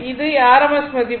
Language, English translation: Tamil, So, you take rms value